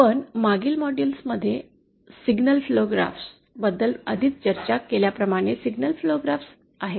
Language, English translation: Marathi, The signal flow graphs are as we have already discussed about signal flow graphs in the previous modules